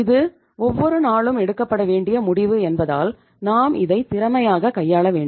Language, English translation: Tamil, Because it is a day to day decision and we have to be very very efficient